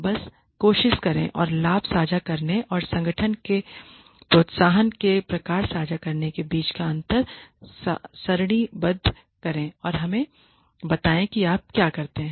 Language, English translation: Hindi, Just try and tabulate the differences between profit sharing and gain sharing types of incentivization for the organization and let us see what you come up with